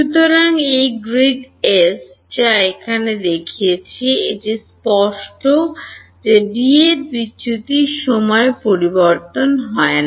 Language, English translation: Bengali, So, over this grid S which I have shown over here, it is clear that del that the divergence of D does not change in time